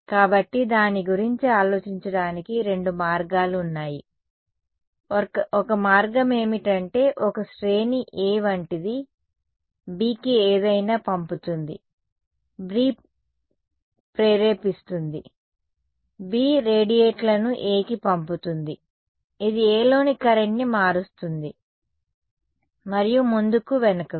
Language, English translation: Telugu, So, there are two ways of thinking about it, one way is that a like a I mean like a series A sends something to B, B induces B radiates sends to A, this changes the current in A and so on, back and forth right